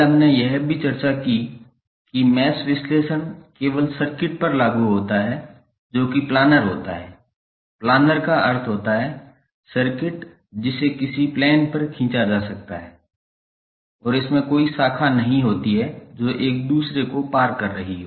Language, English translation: Hindi, Yesterday we also discussed that the mesh analysis is only applicable to circuit that is planar, planar means the circuit which can be drawn on a plane and it does not have any branch which are crossing one another